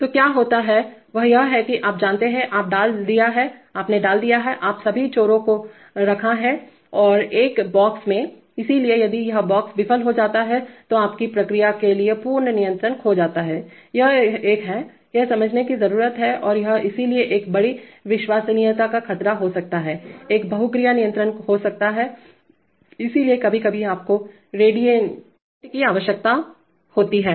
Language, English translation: Hindi, So what happens is that, that is, you know, you know, you have put, you have put all the loops, now into one box, so if that box fails then the complete controls for your process is lost, this is a this is, this needs to be understood and so this could be a major reliability threat, having a multivariable controller, so sometimes you need redundancies